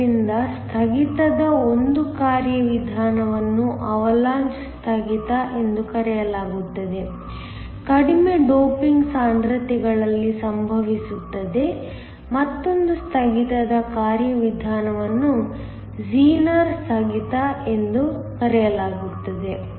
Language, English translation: Kannada, So, one mechanism of breakdown is called the Avalanche breakdown, occurs at low doping concentrations, another mechanism of breakdown is called the Zener breakdown